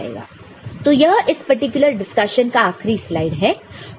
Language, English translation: Hindi, So, this is the last slide for this particular discussion